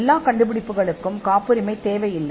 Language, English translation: Tamil, And not all inventions need patents as well